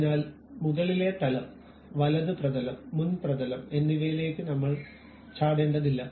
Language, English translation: Malayalam, So, I do not have to really jump on to top plane, right plane and front plane